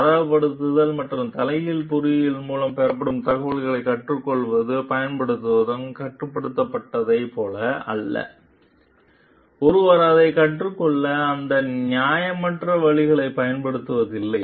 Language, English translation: Tamil, Learning and using the information obtained through benchmarking and reverse engineering are not like restricted as long as, one not has used any unfair means to learn it